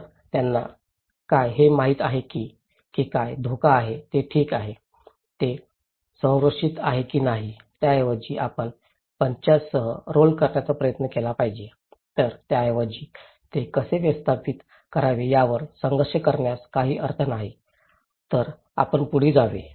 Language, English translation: Marathi, So, they don’t know what is the risk okay, it is protected or not so, there is no point in fighting over how to manage it instead you should just try to roll with the punches so, you should go on